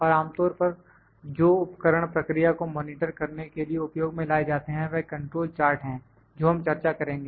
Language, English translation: Hindi, And most commonly used tool for monitoring the process is the control chart that we will discuss